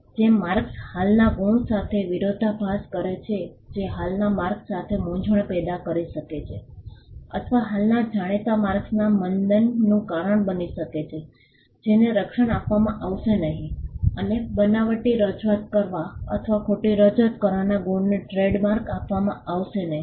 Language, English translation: Gujarati, Marks which conflict with existing marks which can cause confusion with existing marks or cause dilution of existing known marks will not be granted protection and marks that make a fraudulent representation or a false representation will not be granted trade mark